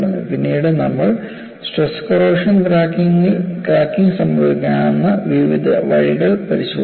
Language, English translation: Malayalam, Later on, we proceeded to look at various ways, stress corrosion cracking can happen